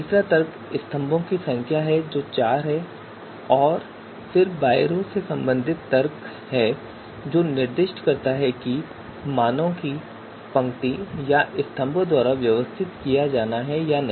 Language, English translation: Hindi, And third argument is number of column that is four and then by row whether values are to be arranged by row or by columns